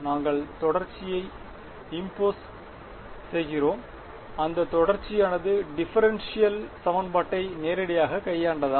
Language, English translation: Tamil, We impose continuity, that continuity did it directly deal with the differential equation